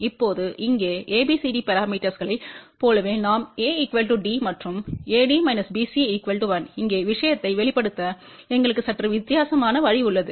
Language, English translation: Tamil, Now, here just like in terms of abcd parameters we had seen a is equal to d ok and AD minus BC is equal to 1 here we have a slightly different ways of expressing the thing